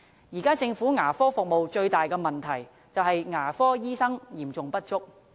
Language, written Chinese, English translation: Cantonese, 現時，政府牙科服務最大的問題是牙科醫生嚴重不足。, At present the biggest problem with government dental service is the severe shortage of dentists